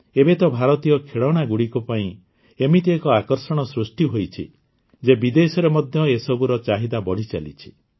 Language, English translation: Odia, Nowadays, Indian toys have become such a craze that their demand has increased even in foreign countries